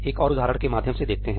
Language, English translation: Hindi, Letís go through another example